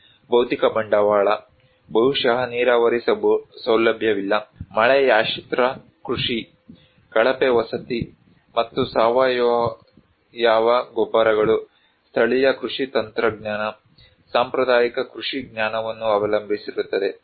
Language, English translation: Kannada, Physical capital: maybe no irrigation facility, depends on rain fed agriculture, poor housing, and organic fertilizers only, local farming technology, traditional agricultural knowledge